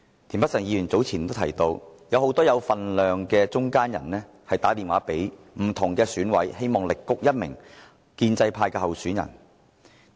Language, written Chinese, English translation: Cantonese, 田北辰議員早前提到，有很多有分量的中間人致電不同的選舉委員會委員，力谷一名建制派的候選人。, Mr TIEN mentioned earlier that a number of heavyweight middlemen called different Election Committee EC members trying hard to canvass votes for a pro - establishment candidate